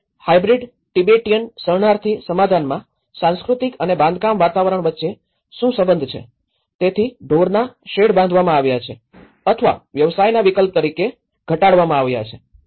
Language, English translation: Gujarati, And what is the relationship between the cultural and built environments in a hybrid Tibetan refugee settlement, so cattle sheds now discontinued or reduced as an occupational shift